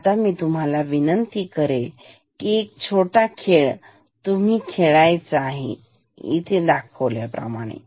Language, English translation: Marathi, Now, I will request you to play another small game the game is like this